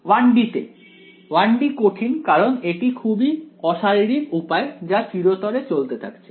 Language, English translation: Bengali, In 1 D yeah, 1 D is a strain skills I mean it is a quite unphysical way which is goes on forever alright